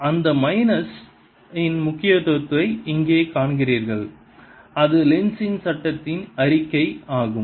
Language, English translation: Tamil, so you see the importance of that minus sign out here, and that is the statement of lenz's law